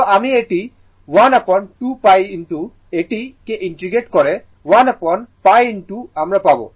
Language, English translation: Bengali, So, it is 1 upon 2 pi into integrate it, you will get 1 upon pi into I m right